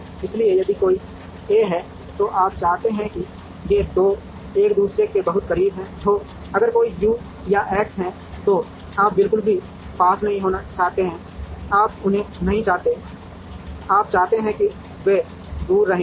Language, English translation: Hindi, So if there is an A, you want these 2 to be very close to each other, if there is a U or an X, you do not wanted to be close at all, you do not want them, you want them to be far away